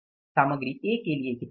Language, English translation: Hindi, Material A is going to be how much